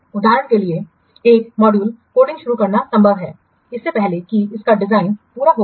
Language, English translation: Hindi, It is possible, for example, to start coding a module before its design has been completed